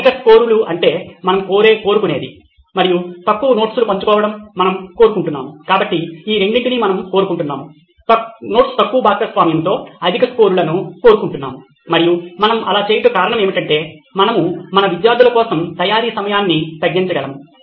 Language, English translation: Telugu, High scores is what we would desire and we wanted with less sharing of notes as the, so we want both of this, we want high scores with less sharing of notes and the reason we did that was so that we can reduce the time of preparation for our students